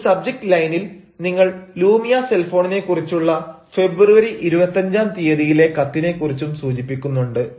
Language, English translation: Malayalam, you can see in subject line you are also mentioning your letter of february twenty five about lumia cell phone